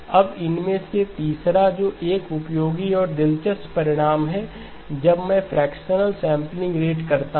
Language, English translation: Hindi, Now the third of these, which are also a useful and interesting result is when I do a fractional sampling rate change